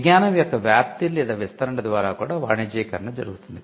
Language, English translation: Telugu, The commercialization can also happen through dissemination or diffusion of the knowledge